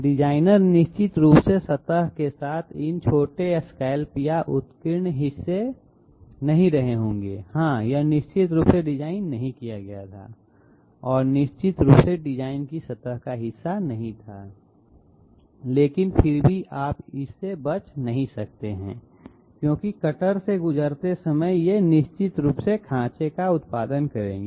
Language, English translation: Hindi, The designer definitely must not have had these you know small scallops or upraised portions all along the surface, yes this was definitely not designed and this was definitely not part of the design surface but still you cannot avoid it because the cutter while moving through will definitely produce these grooves